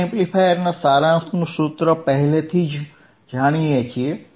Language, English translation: Gujarati, We already know the formula of summing amplifiers